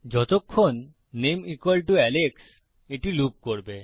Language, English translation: Bengali, As long as the name=Alex this will loop